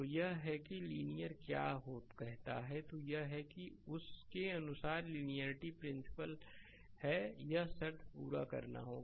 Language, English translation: Hindi, So, that is that the linear what you call then you can say that it is linearity principle according to that it, it condition has to be satisfied right